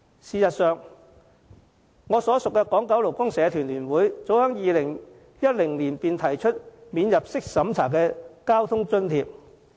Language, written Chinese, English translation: Cantonese, 事實上，我所屬的港九勞工社團聯會早在2010年便提出免入息審查的交通津貼。, As a matter of fact the Federation of Hong Kong and Kowloon Labour Unions FLU to which I belong already proposed a non - means - tested transport subsidy as far back as 2010